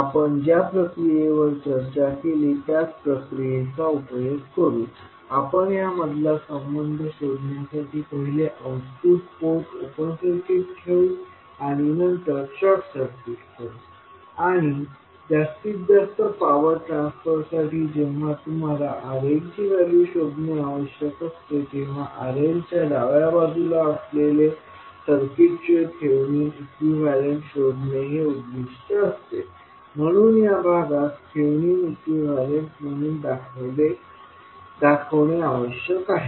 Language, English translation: Marathi, We will utilise the same process which we discussed, we will first put output port open circuit and then short circuit to find out the relationships and when you are required to find out the value of RL for maximum power transfer, the objective will be to find out the Thevenin equivalent of the circuit which is left to the RL